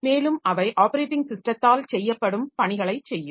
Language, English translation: Tamil, So, to start with the services that are provided by the operating system